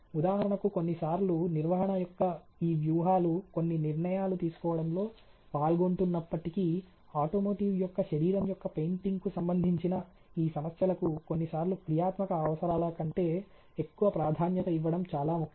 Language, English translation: Telugu, For example, all though you know sometime these strategy of the management is also involve to make fallen certain decision, may be it is a very important that these a issues related to that is the painting of the body of an automotive is given priority over functional requirement sometimes